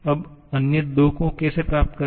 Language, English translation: Hindi, Now, how to get the other two